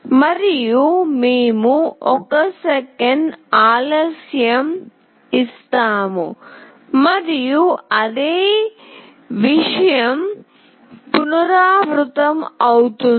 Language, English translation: Telugu, And, we give a delay of 1 second and the same thing repeats